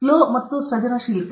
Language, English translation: Kannada, Flow and creativity